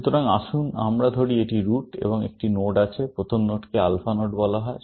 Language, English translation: Bengali, So, let us say this is the root and there is a node; first nodes are called alpha nodes